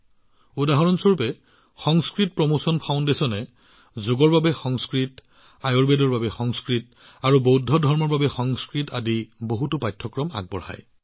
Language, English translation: Assamese, Such as Sanskrit Promotion foundation runs many courses like Sanskrit for Yog, Sanskrit for Ayurveda and Sanskrit for Buddhism